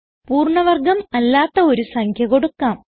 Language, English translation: Malayalam, Let us try with a number which is not a perfect square